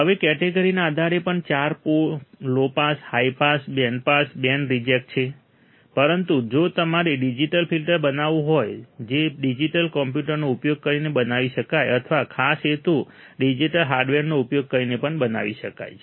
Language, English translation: Gujarati, Now, also based on the category there are four low pass, high pass, band pass, band reject, but if you want to form a digital filter that can be implemented using a digital computer or it can be also implemented using special purpose digital hardware